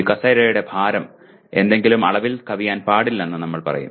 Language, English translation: Malayalam, We will say the weight of this chair should not exceed something